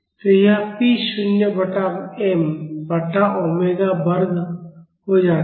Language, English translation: Hindi, So, this becomes p naught by m by omega square